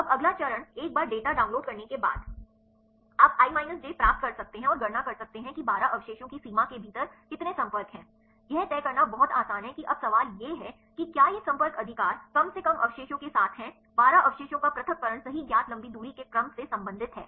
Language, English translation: Hindi, Now the next step is once you download the data, you can get the i minus j and compute how many contacts are within the limit of 12 residues is very easy to do that now the question is whether these contacts right are at least the residues with the separation of twelve residues right are related with the known long range order